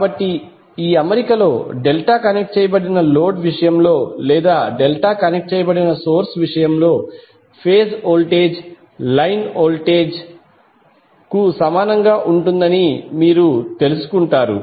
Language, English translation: Telugu, So here if you this particular arrangement, you will come to know that in case of delta connected load or in case of delta connect source the phase voltage will be equal to line voltage